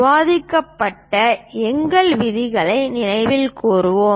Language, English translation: Tamil, Let us recall our discussed rules